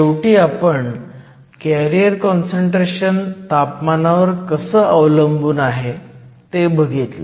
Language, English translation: Marathi, So, this is the carrier concentration as a function of temperature